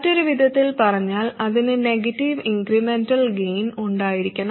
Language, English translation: Malayalam, In other words, it must have a negative incremental gain